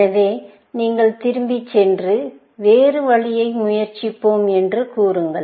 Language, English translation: Tamil, So, you go back and say, let us try another option